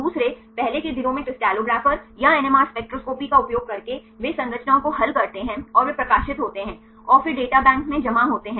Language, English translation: Hindi, Secondly, in earlier days the crystallographers or the using NMR spectroscopy they solve the structures and they publish and then deposit in the databank